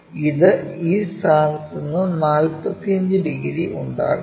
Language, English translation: Malayalam, It makes 45 degrees from this point, 45